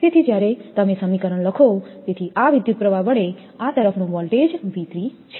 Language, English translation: Gujarati, So, when you write the equation, so current through the voltage across this is V 3